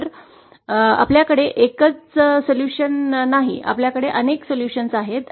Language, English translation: Marathi, So we donÕt have a single solution, we have multiple solutions